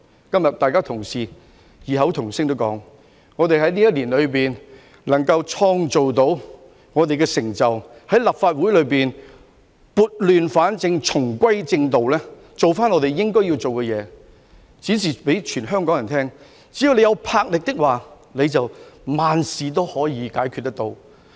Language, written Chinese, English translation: Cantonese, 今天大家同事異口同音地說，我們在這一年內能創造我們的成就，在立法會內撥亂反正，重歸正道，做回我們應該要做的工作，展示給全香港人看，只要有魄力，萬事都可以解決。, Today colleagues are saying in unison that in this year we have been able to make our own achievements in setting things right in the Legislative Council getting it back on the right track and doing what we are supposed to do . We have shown all the people of Hong Kong that everything can be solved as long as we have the fortitude to do so